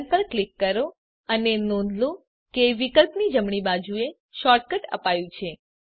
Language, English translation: Gujarati, Click Run And Notice that on the right end of the option, there is the shortcut is given